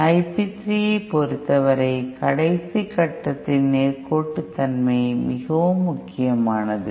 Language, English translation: Tamil, In the case of I p 3, the linearity of the last stage matters the most